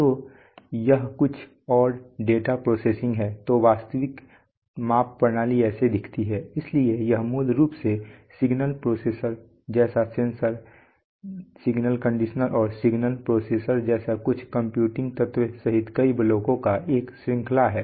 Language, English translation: Hindi, So that is some more data processing, so this is how a real measurement systems looks like, so it has it is basically a cascade of several blocks including the sensor, the signal conditioner, plus some computing elements like the signal processor